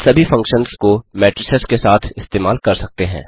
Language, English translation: Hindi, Thus all the operations on arrays are valid on matrices only